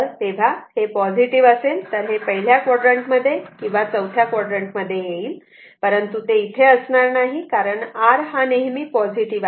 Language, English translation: Marathi, So, either in the first quadrant or in the fourth quadrant, but here it should not be there, because R is always positive